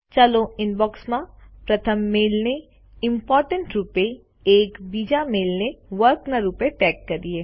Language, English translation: Gujarati, Lets tag the the first mail in the Inbox as Important and the second mail as Work